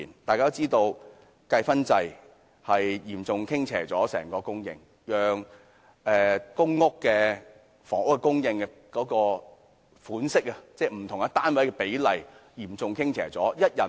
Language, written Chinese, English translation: Cantonese, 大家都知道計分制令整體供應嚴重傾斜，令公屋為不同類型人士而設的不同單位的比例嚴重傾斜。, As we all know the points system has made the overall supply seriously imbalanced . It totally upsets the balance of the ratios of different kinds of public housing units for different types of applicants